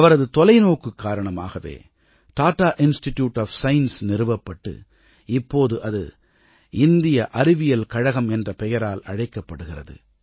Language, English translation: Tamil, It was his vision that culminated in the establishment of the Tata Institute of Science, which we know as Indian Institute of Science today